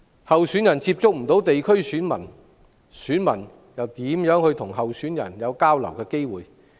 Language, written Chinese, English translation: Cantonese, 候選人無法接觸地區選民，選民又怎會有機會與候選人交流？, When candidates cannot have contacts with voters in the districts how can voters have the opportunity to have exchanges with candidates?